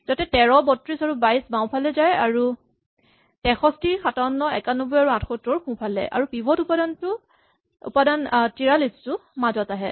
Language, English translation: Assamese, So that, 13, 32 and 22 come to the left; 63, 57, 91 and 78 come to the right and the pivot element 43 comes in middle